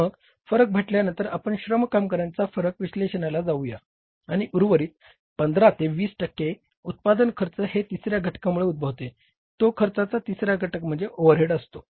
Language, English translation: Marathi, So after the material variances we will go for the analysis of the labor variances and then remaining 10 to 15 percent of the cost of the product comes up because of the third component of the cost and that third component of the cost is the overheads